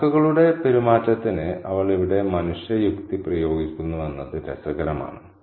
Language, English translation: Malayalam, And it is interesting to see that she is applying human logic here to the crow's behavior